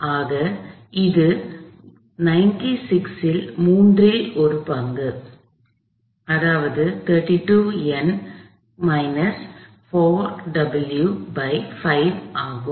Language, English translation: Tamil, So, that is one third of 96; that is 32 Newton’s minus 4 W over 5